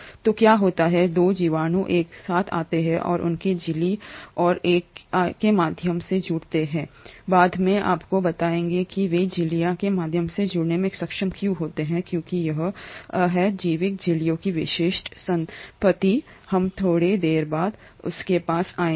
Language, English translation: Hindi, So what happens is the 2 bacterias come together and connect through their membranes and I will tell you later why they are able to connect through membranes because that is the specific property of biological membranes, we will come to it a little later